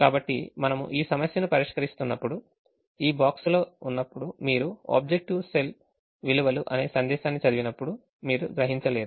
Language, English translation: Telugu, so when we solve this problem you will realize that when in this box you read a message called the objective cell values do not converge, it has not given a solution